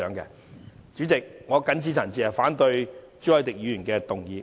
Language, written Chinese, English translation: Cantonese, 代理主席，我謹此陳辭，反對朱凱廸議員提出的議案。, Deputy President I so submit and oppose the motion moved by Mr CHU Hoi - dick